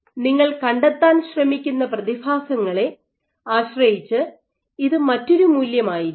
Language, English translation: Malayalam, So, depending on the phenomena that you are trying to probe this might be a different value